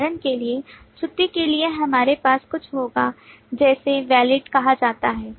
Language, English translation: Hindi, For example, for leave, we will have something called Is Valid